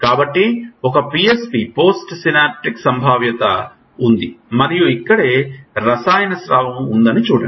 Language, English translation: Telugu, So, there is a PSP post synaptic potential and see there is a chemical secretion here right